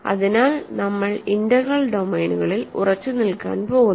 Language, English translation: Malayalam, So, we are going to stick to integral domains